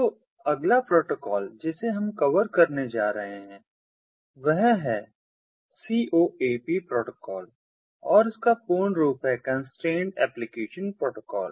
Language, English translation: Hindi, so the next protocol that we are ah going to cover is the coap protocol, and the full form of which is constrained ah application protocol and ah